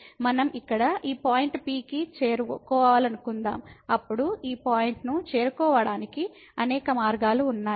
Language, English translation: Telugu, Suppose we want to approach to this point here, then there are several paths to approach this point